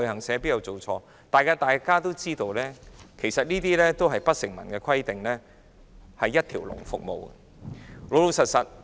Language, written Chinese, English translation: Cantonese, 實際上，大家都知道不成文規定的有關一條龍服務。, As a matter of fact everyone knows about the unwritten rule concerning one - stop services